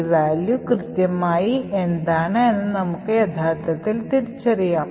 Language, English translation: Malayalam, So, what exactly is this value, is what we will actually identify